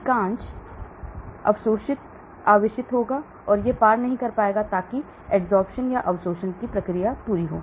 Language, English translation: Hindi, More the charged it will be, it will not cross so that is the entire strategy of absorption